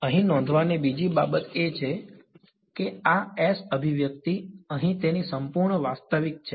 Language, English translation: Gujarati, The other thing to note over here is this S expressional over here its purely real